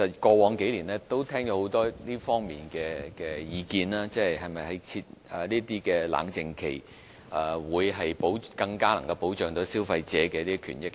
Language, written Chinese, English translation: Cantonese, 過往數年我聽過很多這方面的意見，討論設置冷靜期是否更能保障消費者的權益。, In the last couple of years I have listened to many comments on whether the imposition of cooling - off period can better protect the rights of consumers